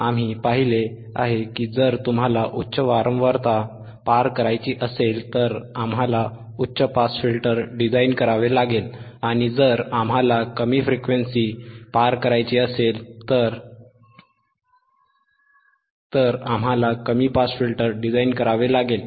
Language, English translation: Marathi, We have seen that if you want to pass highhype band frequency, we design a high pass filter, and if hwe wouldwant not design the lo to pass low band of frequency, we design a low pass filter,